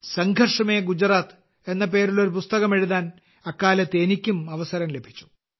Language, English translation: Malayalam, I had also got the opportunity to write a book named 'Sangharsh Mein Gujarat' at that time